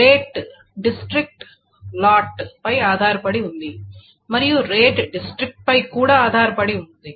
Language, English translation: Telugu, So rate depends on district and lot and rate also depends on district